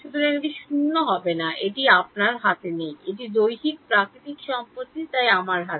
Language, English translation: Bengali, So, it is not going to be 0 its not in your hand its physical, its nature property, so on my hand